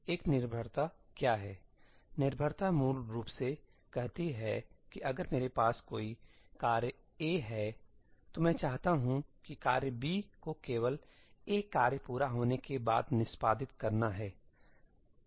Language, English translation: Hindi, What is a dependency dependency basically says that if I have a task A, I want task B to only execute after task A has completed